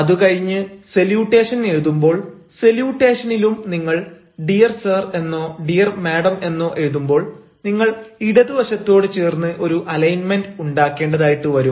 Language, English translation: Malayalam, even in salutation, when you write dear sir or dear madam, whatsoever, you will find that you will have to make a sort of alignment towards the left